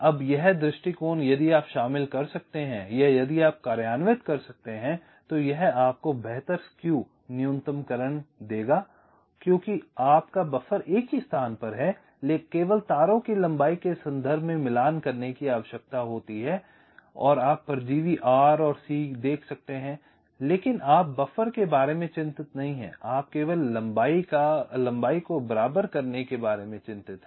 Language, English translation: Hindi, now this approach, if you can incorporate or if you can implement this, will give you better skew minimization because your buffer is in one place only wires need to be matched in terms of the lengths and you can see the parasitics r, n, c